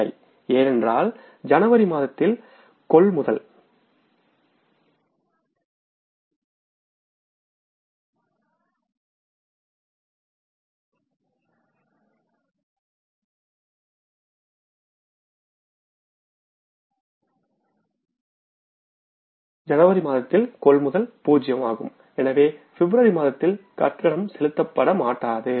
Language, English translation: Tamil, Because purchases in the month of January are mill, so no payment we will be making in the month of February